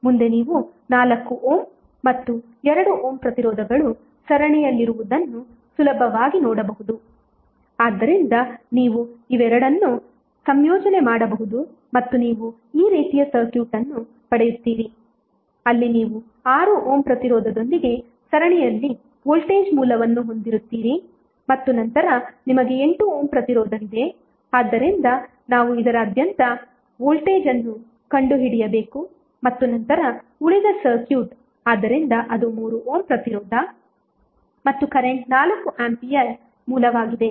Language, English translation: Kannada, So, across AB your updated circuit would be like this next what we have to do, you have to, you can see easily that 4 ohm and 2 ohm resistances are in series so you can club both of them and you will get circuit like this where you have voltage source in series with 6 ohm resistance and then you have 8 ohm resistance, so we have to find out the voltage across this and then the rest of the circuit, so that is the 3ohm resistance, and the current source of 4 ampere